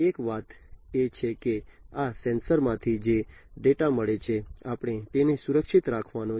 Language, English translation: Gujarati, So, one thing is that the data that is received from these sensors, we can we have to protect it